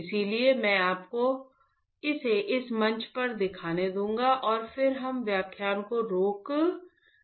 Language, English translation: Hindi, So, I will let me just show it to you this platform and then we will stop the lecture